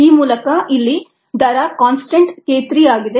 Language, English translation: Kannada, the rate constant here is k three